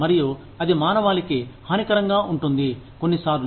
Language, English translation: Telugu, And, that can be detrimental to humanity, at large, sometimes